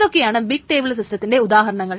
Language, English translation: Malayalam, What are the examples of big table systems